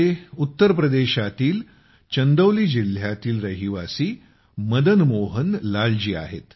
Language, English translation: Marathi, This is Madan Mohan Lal ji, a resident of Chandauli district of Uttar Pradesh